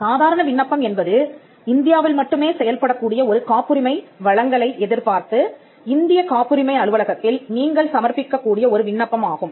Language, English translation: Tamil, The ordinary application is an application which you would make, before the Indian patent office, expecting a grant of a patent, which will have operation only in India